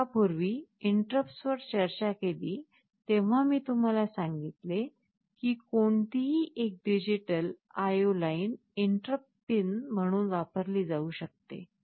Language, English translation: Marathi, When we discussed interrupts earlier, you recall I told you that any of the digital IO lines can be used as an interrupt pin